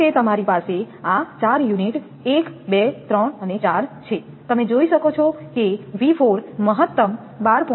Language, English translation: Gujarati, Suppose you have this four units 1, 2, 3, 4 you can see the V 4 is the maximum 12